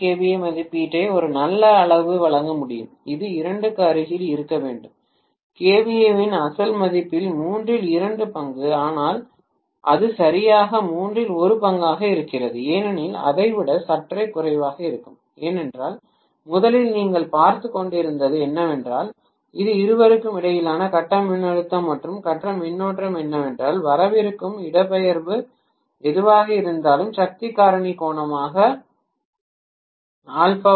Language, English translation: Tamil, So when I illuminate one of the windings still the transformer will be able to deliver a fairly good amount of KVA rating which should be close to two thirds of the original value of KVA, but it will not be exactly two third, it would be slightly less than that because originally what you were looking at was the phase voltage and phase current between those two whatever was the displacement that was coming as the power factor angle alpha or phi